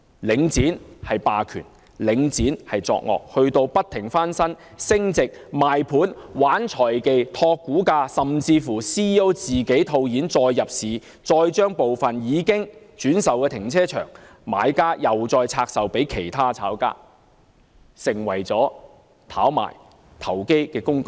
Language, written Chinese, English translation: Cantonese, 領展既是霸權，也屢屢作惡，不斷把物業翻新升值、賣盤、玩財技、托股價，甚至連其 CEO 也套現再入市，而部分已轉售的停車場，買家又再拆售給其他炒家，已成為了炒賣投機工具。, Its commercial premises have been repeatedly refurbished to push up their values and then sold to other investors . By playing financial tricks its senior executives managed to boost up the share price and even its Chief Executive Officer has bought shares again after cashing in . The buyers of some carparking facilities have sold them to speculators making them tools for speculation